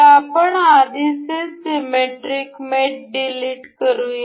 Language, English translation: Marathi, So, let us just delete the earlier ones; symmetric mate